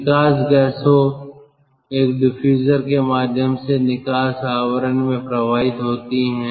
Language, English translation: Hindi, the exhaust gases flow through a diffuser into the outlet casing